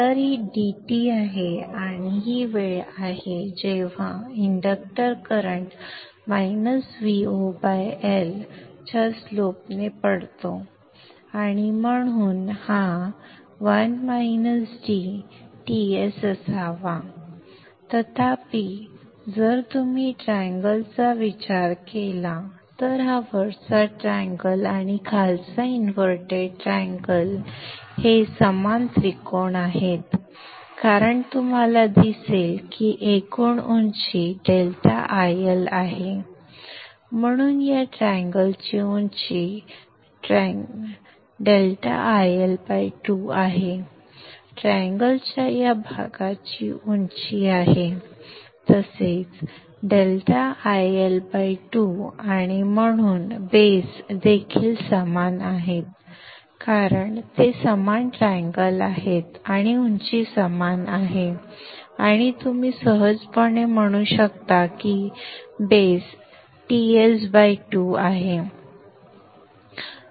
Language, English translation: Marathi, So this is the time, and this is the time when the electric current is falling with a slope of minus v0 by L and therefore this has to be the 1 minus DTS period however if you consider the triangle, this upper triangle and the bottom inverted triangle are similar triangles because you see that the total height is delta IL therefore the height of this triangle is delta IL by 2